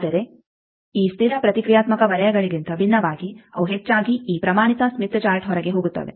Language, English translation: Kannada, But, unlike in this constant reactance circles they are mostly going outside this standard smith chart